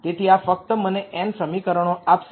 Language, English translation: Gujarati, So, this will just give me n equations